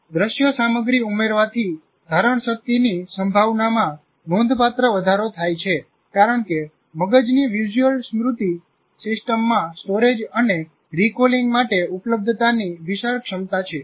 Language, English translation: Gujarati, Adding visual material substantially increases the chance of retention because the brain's visual memory system has an enormous capacity for storage and availability for recall